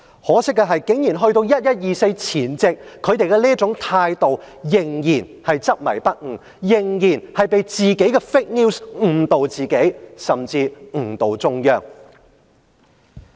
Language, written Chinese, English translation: Cantonese, 可惜的是，在"十一二四"前夕，執政者仍然是這種態度執迷不悟，仍然被自己的 fake news 誤導，甚至誤導中央。, Unfortunately on the eve of 24 November DC Election those in power were still obsessed with their own judgment and were still misled by their own fake news and they had even misled the Central Government